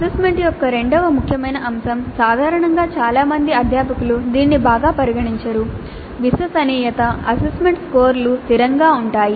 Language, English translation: Telugu, The second important aspect of assessment which generally is not considered well by many faculty is reliability, degree to which the assessments course are consistent